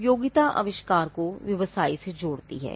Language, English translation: Hindi, Utility connects the invention to the to business